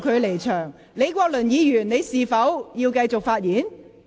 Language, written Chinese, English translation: Cantonese, 李國麟議員，你是否想發言？, Prof Joseph LEE do you wish to speak?